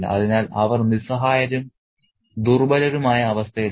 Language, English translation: Malayalam, So, they are in a helpless, vulnerable state, they are in a helpless situation